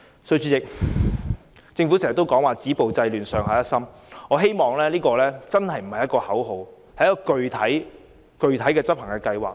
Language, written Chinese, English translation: Cantonese, 主席，政府經常說"止暴制亂"、"上下一心"，我希望這些並非只是口號，而是具體的執行計劃。, President the Government keeps talking about stopping violence and curbing disorder and working as a team . I hope these are not mere slogans but specific implementation plans